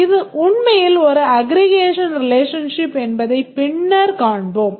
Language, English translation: Tamil, Later we will see that this is actually an aggregation relationship